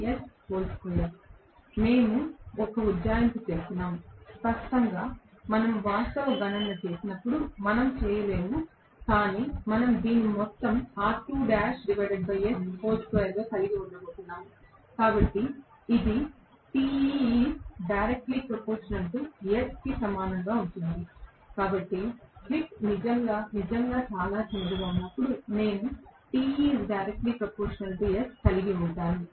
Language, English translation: Telugu, I am just doing an approximation, clearly when we do the actual calculation, we will not, but we are going to have this as R2 dash by S the whole square, so this is approximately equal to this, because of which I am going to have Te is going to be proportional to slip